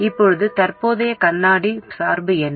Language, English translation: Tamil, Now what is the current mirror bias